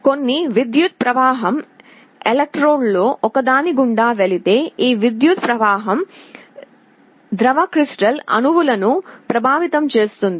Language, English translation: Telugu, When some electric current is passed through one of the electrodes, this electric current will influence the liquid crystal molecules